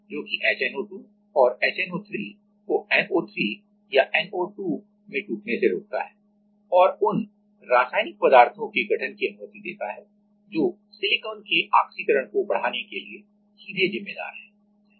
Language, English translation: Hindi, So, it prevents the HNO2; HNO3 to break into NO3 or NO2 and allows formation of species that are directly responsible for oxidation of silicon